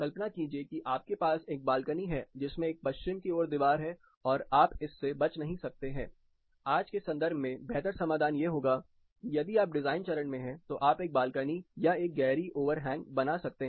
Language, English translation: Hindi, Imagine you have a balcony which has a west facing wall and you cannot avoid it, the better solution in today’s context would be if you are in a design stage, you can provide a balcony or a deep over hang